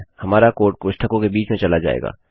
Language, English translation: Hindi, Our code will go in between the brackets